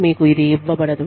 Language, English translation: Telugu, You should not be given, this